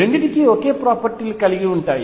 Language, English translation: Telugu, So, both are the same properties